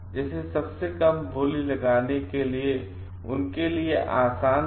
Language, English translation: Hindi, Like, it was easy for them to make the lowest bids